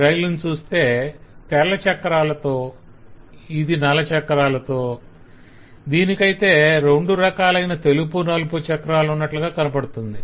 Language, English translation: Telugu, so we will have the trains which have black wheels, white wheels and which have black and white wheels both